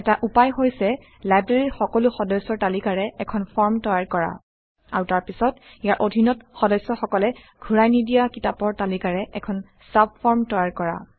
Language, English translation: Assamese, One way is to create a form listing all the members in the library And then creating a subform below it, to list those books that have not yet been returned by the member